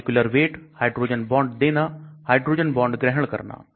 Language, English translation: Hindi, Molecular weight, hydrogen bond donors, hydrogen bond acceptors